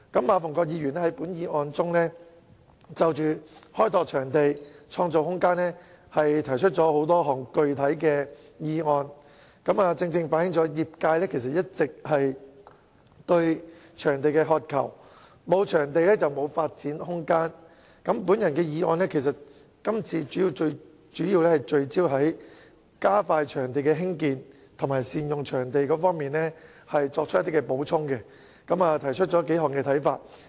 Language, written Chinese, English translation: Cantonese, 馬逢國議員在本議案中就"開拓場地，創造空間"提出多項具體建議，正正反映業界一直以來對場地的渴求，沒有場地便沒有發展空間；而我的修正案主要聚焦在加快場地興建、善用場地上作補充，並提出數點看法。, This has precisely reflected the sectors aspiration for venues . Without venues there will be no room for development . And my amendment as a supplement to the motion is mainly focused on expediting the construction and making better use of venues